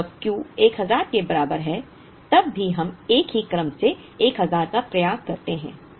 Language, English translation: Hindi, Now, when Q equal to 1000 we still try and order 1000 in a single order